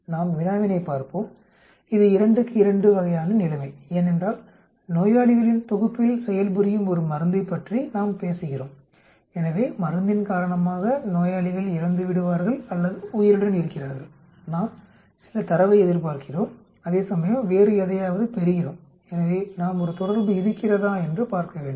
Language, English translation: Tamil, Let us look at problem, which is 2 by 2 sort of situation because we are talking about a drug working on a set of patients so because of the drug, patients either die or alive, we expect some data whereas we observe something else so we need to look at whether there is an association